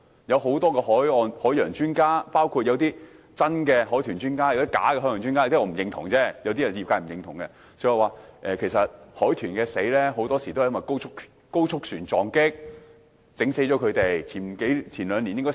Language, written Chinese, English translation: Cantonese, 有些海岸、海洋專家，包括有真有假的海豚專家——有些專家我不認同，有些則是業界不認同的——說海豚很多時候都是遭到高速船隻撞擊而死。, Various marine experts including real and fake dolphin experts―because some of them are not recognized either by me or by the industry―have said that dolphins are often crashed to death vessels moving at speed